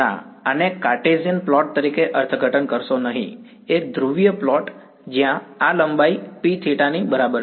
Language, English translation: Gujarati, Theta, no do not interpret this as a Cartesian plot, a polar plot where this length over here is what is equal to P of theta